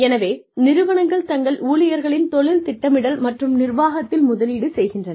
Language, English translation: Tamil, So, organizations are investing, in career planning and management, of their employees